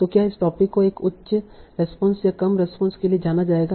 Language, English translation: Hindi, , whether this topic will go to a higher response or lower response